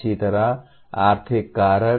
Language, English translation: Hindi, Similarly, economic factors